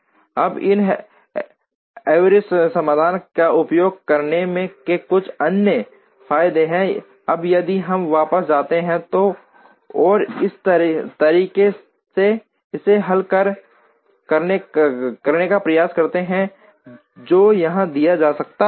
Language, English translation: Hindi, Now there are a few other advantages of using these heuristic solutions, now if we go back and try to solve this optimally in the way that has been given here